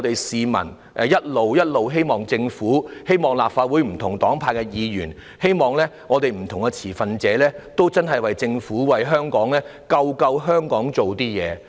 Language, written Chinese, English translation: Cantonese, 市民一直希望政府、希望立法會內不同黨派的議員、希望不同的持份者真的可以為拯救香港而做一些事。, Members of the public have all along hoped that the Government Members of different political affiliations in the Legislative Council and different stakeholders can really do something to rescue Hong Kong